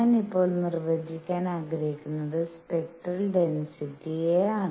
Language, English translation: Malayalam, What I want to define now is something called spectral density